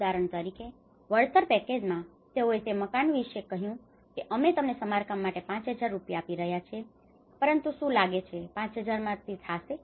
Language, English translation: Gujarati, Like for example, in the compensation package, they talked about yes for a house we are giving you 5000 rupees for the repair but do you think it will cost 5000 rupees